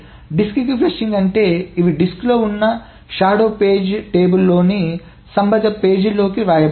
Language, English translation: Telugu, The flushing to the disk means these are written to the corresponding pages in the shadow page table which is on the disk